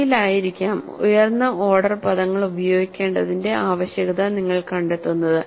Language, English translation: Malayalam, May be in future, you may find the necessity for using higher order terms